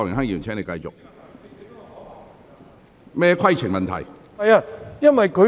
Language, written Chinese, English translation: Cantonese, 涂議員，你有甚麼規程問題？, Mr TO what is your point of order?